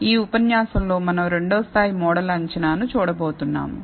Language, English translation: Telugu, In this lecture, we are going to look at the second level of model assessment